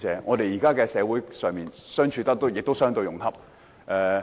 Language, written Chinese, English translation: Cantonese, 我覺得現時社會上不同性傾向的人士相處也相對融洽。, I consider there is a relatively cordial relationship among people of different sexual orientations in society